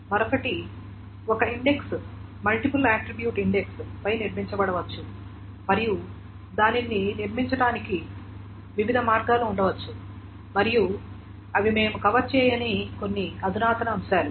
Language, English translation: Telugu, The other is an index may be built on a multiple attribute index and this there can be different ways of building it and these are some advanced topics that we have not covered